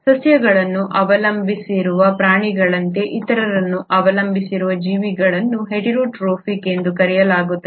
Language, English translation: Kannada, Organisms which depend on others, like animals which depend on plants, are called as heterotrophic